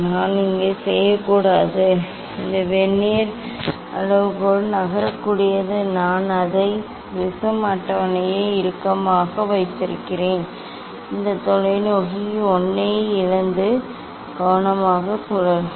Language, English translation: Tamil, I should not; this vernier scale should not move I keep it tightened the prism table only I will lose this telescope 1 and rotate it carefully